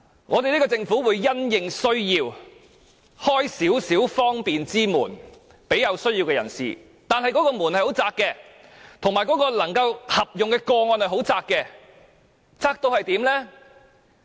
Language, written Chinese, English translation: Cantonese, 我們政府會因應需要，為這些有需要的人打開方便之門，但那道門很狹窄，合用的個案也很狹窄，狹窄得卑微。, The Government will open a door of convenience in view of the needs of these people yet the door is small and the cases applicable are very limited . It is just so small and so humble